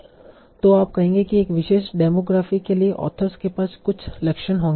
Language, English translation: Hindi, So you will say that authors for a particular demographic will have certain traits